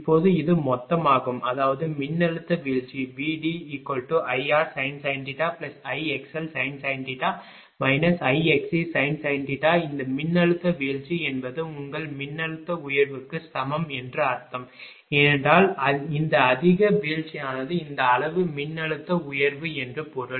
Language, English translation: Tamil, Now this is the total; that means, voltage drop is equal to actually I r sin theta plus I x l sin theta minus I x c sin theta this voltage drop means that that is equivalent to your voltage raised right, because this much drop means that this much of voltage raise